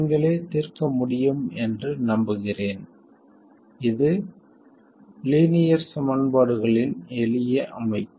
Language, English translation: Tamil, It's a simple system of linear equations